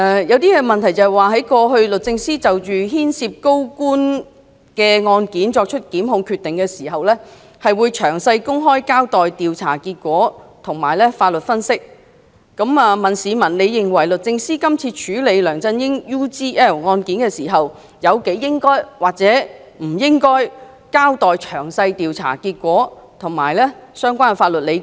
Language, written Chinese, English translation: Cantonese, 有一項問題是："過去律政司就牽涉高官嘅案件作出檢控決定時，會詳細公開交代調查結果同埋法律分析，你認為律政司今次處理梁振英 UGL 案件時，有幾應該或者唔應該交代詳細調查結果同埋法律理據？, One of the questions asked is In the past the Secretary for Justice would publicly account for the investigation results and legal analysis in detail when making prosecution decision on cases concerning senior government officers . Do you think it is necessary that when handling the UGL case concerning CY LEUNG the Secretary for Justice should account for the investigation results and legal analysis in detail?